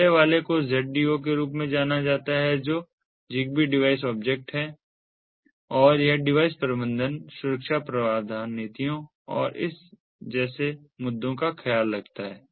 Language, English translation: Hindi, the first one is known as the zdo, which stands for zigbee device object, and it takes care of ah issues such as device management, security, provisioning policies and so on